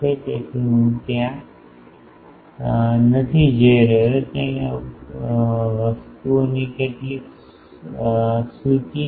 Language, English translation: Gujarati, So, I am not going there are some long list of things